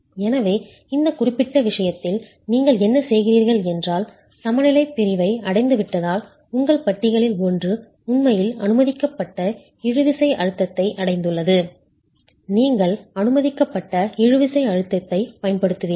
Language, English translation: Tamil, So, in this particular case, what you are doing is with respect to the since the balance section has been reached, that is one of your bars has actually reached the permissible tensile stress, you will use the permissible tensile stress in the steel as what is going to govern the behaviour of the wall thereafter